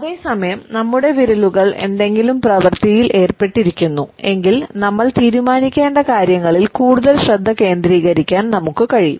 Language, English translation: Malayalam, At the same time you would find that, if our fingers are kept busy, we are able to better concentrate on what we have to decide